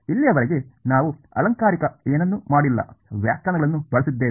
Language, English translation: Kannada, So far we have not done anything fancy we have just used definitions